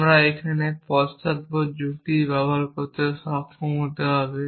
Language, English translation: Bengali, We need to be able to use backward reasoning here